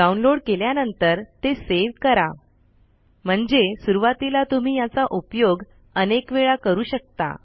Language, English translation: Marathi, After downloading, save it for future use, as you may want to install it a few times